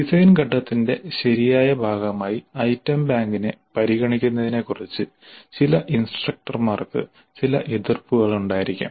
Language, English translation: Malayalam, Some instructors may have some reservations about considering the item bank as a proper part of the design phase